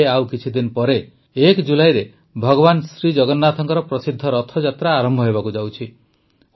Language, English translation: Odia, In just a few days from now on the 1st of July, the famous journey of Lord Jagannath is going to commence